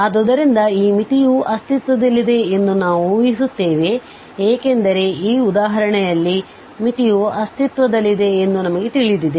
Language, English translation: Kannada, So we assume that this limit exists because we know in this example the limit is going to exist